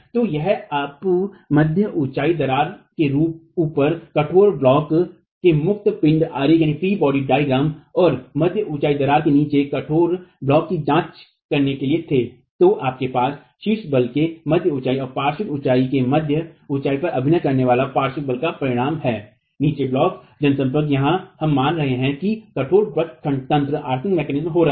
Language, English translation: Hindi, So, if you were to examine the free body diagram of the rigid block above the mid height crack and rigid block below the mid height crack you have the resultant of the lateral force acting at the mid height of the top block and mid height of the bottom block